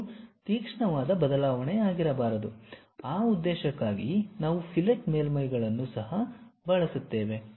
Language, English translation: Kannada, It should not be sharp variation, for that purpose also we use fillet surfaces